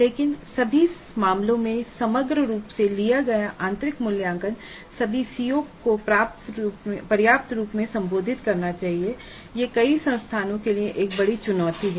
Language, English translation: Hindi, But in all cases the internal assessment taken as a whole must address all the COS adequately and this is a major challenge for many institutes